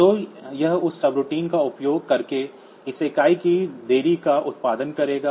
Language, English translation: Hindi, So, it will produce a delay of one unit for that subroutine the delay routine